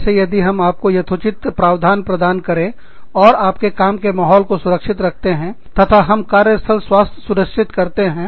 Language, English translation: Hindi, If we give you the proper provisions, if we keep your working environment safe, we are ensuring, workplace health